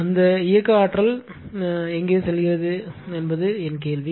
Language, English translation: Tamil, My question is where that kinetic energy goes right